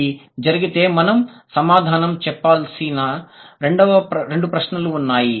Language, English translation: Telugu, So, if that is the case, then there are two questions that we need to answer